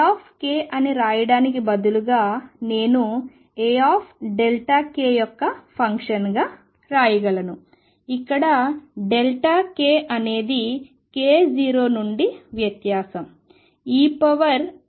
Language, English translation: Telugu, Instead of writing A k I can write this as a function of a delta k, where delta k is difference from k 0